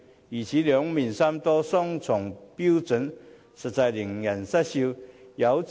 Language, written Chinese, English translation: Cantonese, 如此兩面三刀、雙重標準，實在令人失笑。, Such double - dealing and double standards are honestly laughable